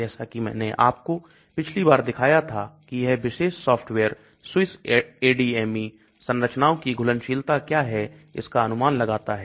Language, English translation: Hindi, As I showed you last time this particular software SwissADME predicts what is the solubility of structures